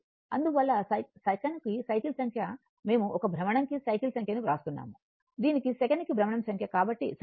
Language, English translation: Telugu, So, that is why number of cycles per second, we are writing number of cycles per revolution into this is into number of revolution per second, so right